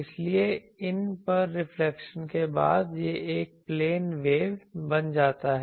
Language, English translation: Hindi, So, after reflection to these this becomes a plane wave